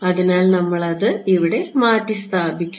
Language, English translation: Malayalam, So, we will just substitute it over here